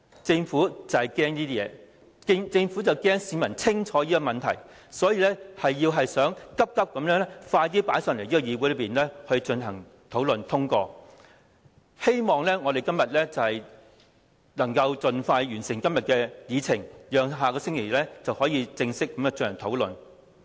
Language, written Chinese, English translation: Cantonese, 政府懼怕上述情況發生，擔心市民認清當中問題，故此便急忙把議案提交到立法會討論及表決，希望議會盡快完成今天的議程，以便在下星期正式開始討論。, Fearing that the aforementioned situation would take place the Government has been worried that the public would identify the problems therein . That is why it has hastened to move the motion for debate and voting by the Legislative Council hoping that the items of business for todays meeting would be completed so that formal discussion on the motion could commence next week